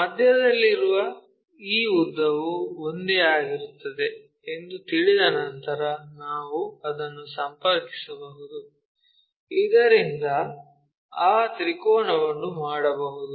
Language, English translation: Kannada, Once we know that this length which is at middle the same thing we can connect it, so that we can make that triangle